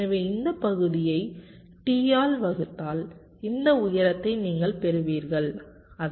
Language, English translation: Tamil, so if we divide this area by capital t, you will be getting this height